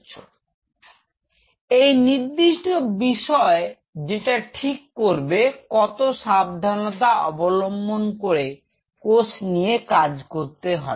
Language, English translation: Bengali, So, that particular aspect will determine how much carefully have to be with cell type you are dealing with